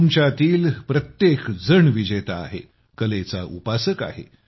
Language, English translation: Marathi, Each one of you, in your own right is a champion, an art seeker